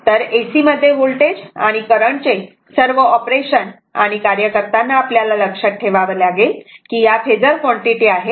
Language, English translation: Marathi, So, in AC, right work all operation of voltage and current should be done keeping in mind that those are phasor quantities